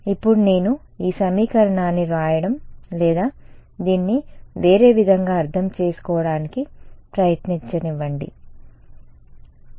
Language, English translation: Telugu, Now let me try to write this equation or interpret this in different way ok